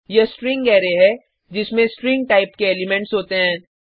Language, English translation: Hindi, This is the string array which has elements of string type